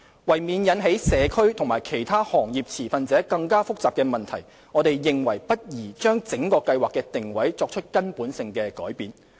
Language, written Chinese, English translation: Cantonese, 為免引起社區及其他行業持份者更加複雜的問題，我們認為不宜將整個計劃的定位作出根本性的改變。, To avoid causing complicated issues to the community and other stakeholders in the industry we consider that it is not suitable to make fundamental change to the positioning of the Scheme